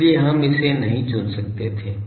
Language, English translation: Hindi, So, we could not choose that